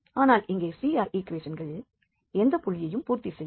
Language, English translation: Tamil, But here the CR equations are not satisfied at any point